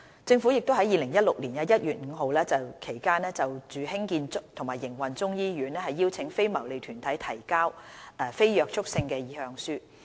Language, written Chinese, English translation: Cantonese, 政府亦於2016年1月至5月期間就興建和營運中醫醫院邀請非牟利團體提交非約束性的意向書。, During January to May in 2016 the Government invited non - binding expression of interest from non - profit - making organizations which are interested in developing and operating a Chinese medicine hospital